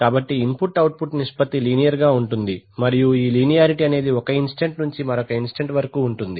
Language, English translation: Telugu, So the input output ratio is linear and this linearity exists from instant to instant, right